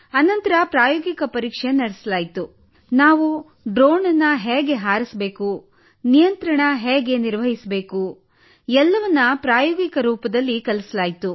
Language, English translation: Kannada, Then practical was conducted, that is, how to fly the drone, how to handle the controls, everything was taught in practical mode